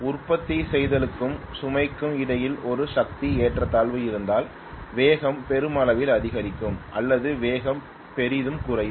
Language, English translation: Tamil, If there is a power imbalance between generation and load, I am going to have either the speed increasing enormously or speed decreasing enormously